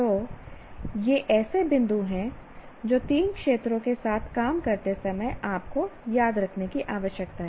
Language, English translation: Hindi, So these are the points that one needs to remember when you are dealing with the three domains